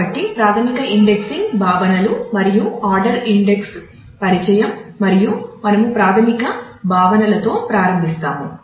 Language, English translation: Telugu, So, introduction of the basic indexing concepts and the order indices and we start with the basic concepts